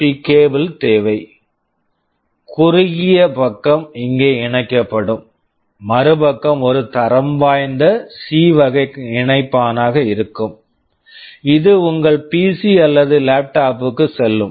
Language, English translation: Tamil, You need a USB cable like this, the shorter side will be connected here and the other side will be a standard type C connector, this will go into your PC or laptop